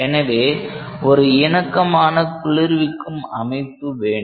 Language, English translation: Tamil, So, you require a compatible cooling arrangement